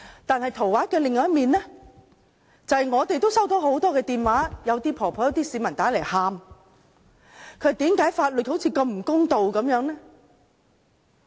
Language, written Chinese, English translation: Cantonese, 但是圖畫的另一面，就是我們也接獲很多來電，一些婆婆和市民來電哭着問為何法律似乎如此不公的呢？, On the contrary we have received many phone calls with old ladies and members of the public among them calling us in tears and asking why the law seems so unfair